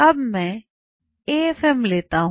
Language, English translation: Hindi, Now, I take afm